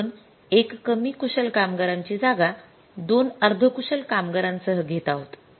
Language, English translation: Marathi, We have to replace that one less skilled worker with that two more semi skilled workers